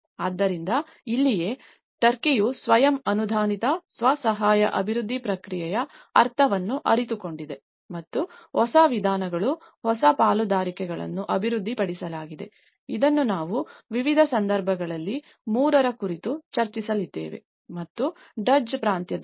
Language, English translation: Kannada, So, this is where the turkey realized the sense of the self approved, self help development process and that is where the new approaches, the new partnerships has been developed, this is what we are going to discuss about 3 in different cases and in the Duzce province